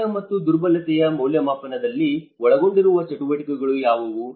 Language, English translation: Kannada, What are the activities that include in the risk and vulnerability assessment